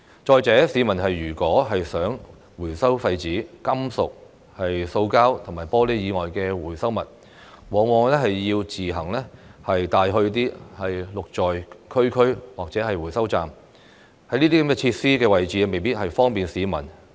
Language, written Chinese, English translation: Cantonese, 再者，市民如果想回收廢紙、金屬、塑膠及玻璃以外的回收物，往往要自己送去"綠在區區"或者回收站，但這些設施的位置未必方便市民。, All these have discouraged the public from recycling . Furthermore if members of the public want to recycle recyclables other than paper metals plastic and glass they need to bring them to GREEN@COMMUNITY or recycling stations themselves but these facilities may not be easily accessible to the public